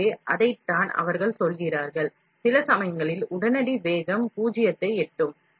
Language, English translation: Tamil, So, that is what they say, at some, at some point the instantaneous velocity will reach zero